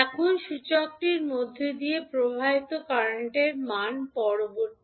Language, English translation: Bengali, Now, next the value of current flowing through the inductor